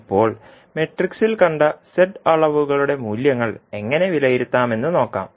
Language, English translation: Malayalam, Now, let us see how we will evaluate the values of the Z quantities which we have seen in the matrix